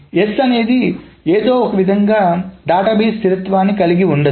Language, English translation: Telugu, So that means S will not preserve the database consistency in some manner